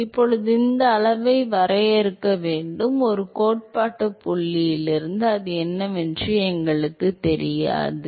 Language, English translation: Tamil, We can now we have to define this quantity, all we do not know what it is from a theoretical point